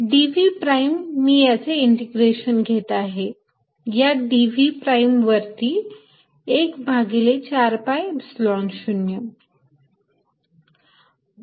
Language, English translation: Marathi, that is, i am integrating over this prime volume in one over four pi epsilon zero